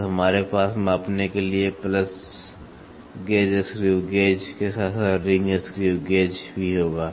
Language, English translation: Hindi, So, we will have plus gauge screw gauge as well as ring screw gauge for measuring